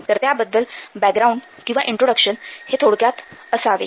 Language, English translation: Marathi, So, that has to be a little bit of background or introduction should be described first